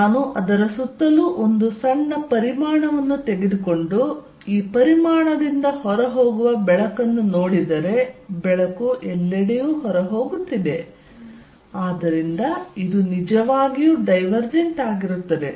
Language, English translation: Kannada, If I take a small volume around it and see the light going out of this volume all over the light is going out, so this is really divergent